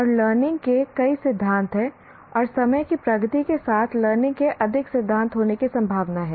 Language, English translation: Hindi, And there are likely to be more theories of learning as time progresses also